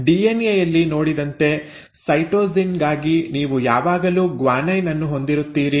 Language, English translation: Kannada, And then again as seen in DNA for cytosine you will always have a guanine